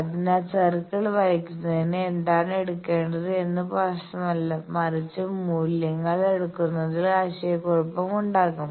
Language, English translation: Malayalam, So, which one to take for drawing the circle it does not matter, but for taking the values because it will be confusion